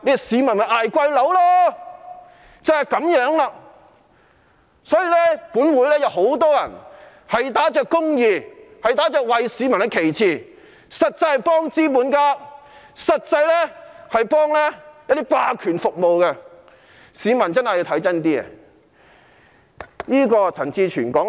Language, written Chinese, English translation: Cantonese, 所以，本會有很多議員打着公義、打着為市民的旗幟，實際上是幫資本家、服務霸權的，市民真的要看清楚。, That is the way it is . Hence many Members of this Council who brandish the banner of justice and public interests are actually helping capitalists and serving the hegemony . The public must see carefully